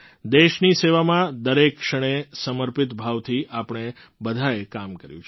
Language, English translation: Gujarati, All of us have worked every moment with dedication in the service of the country